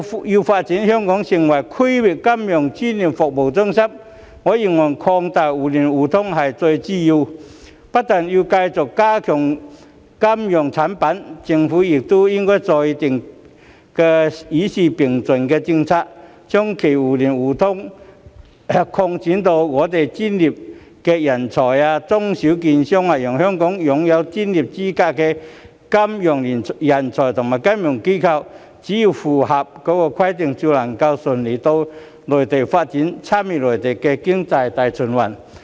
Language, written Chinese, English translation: Cantonese, 要發展香港成為區域金融專業服務中心，我認為擴大互聯互通是至關重要，不但要繼續加強金融產品，政府亦應該制訂與時並進的政策，將其互聯互通層面擴展至我們的專業人才、中小型券商，讓香港擁有專業資格的金融人才和金融機構，只要符合規定，就能更順利到內地發展，參與內地經濟大循環。, In my view in order to develop Hong Kong into a regional centre for professional financial services the expansion of mutual connectivity is of vital importance . Apart from the ongoing enhancement of our financial products the Government should also formulate policies to keep pace with the times and expand the scope of mutual connectivity to also cover our professional talents as well as small and medium securities dealers so that Hong Kongs financial talents with professional qualifications and financial institutions may seek development on the Mainland more smoothly as long as they meet the requirements and participate in the Mainlands overall setting for economic circulation